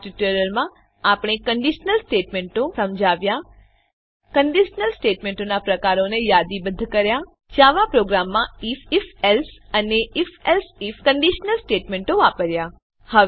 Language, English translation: Gujarati, In this tutorial, We have Explained conditional statements * Listed the types of conditional statements * Used conditional statements: if, if...else and if...else if in Java programs